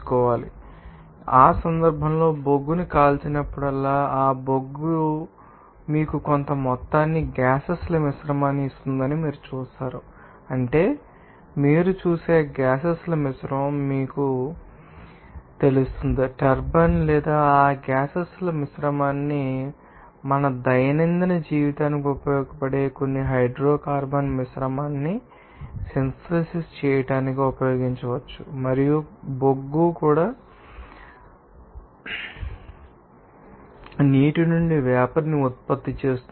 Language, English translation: Telugu, So, in that case, you will see that whenever coal burn that coal will give you a certain amount of you know, gases mixture and that is that gases mixture you will see that will give you know or will be used to you know, that are rotating that turbine or that gases mixture can be used to synthesize some hydrocarbon mixture that will be useful for our daily life and also coal is also used to you know, that generate the steam from the water